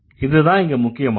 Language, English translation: Tamil, So, this is what it is important